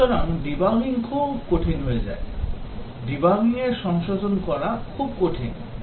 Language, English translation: Bengali, So debugging becomes very difficult, debugging and correcting becomes very difficult